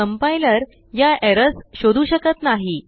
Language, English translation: Marathi, Compiler cannnot find these errors